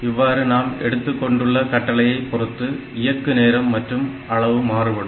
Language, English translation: Tamil, So, that way it depends, depending upon the instruction the execution time and the size will vary